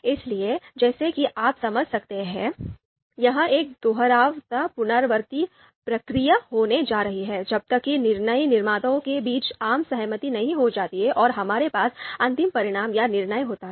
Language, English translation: Hindi, So as you can understand, this is going to be a repetitive iterative process until a consensus between decision makers is reached and we have a final outcome or decision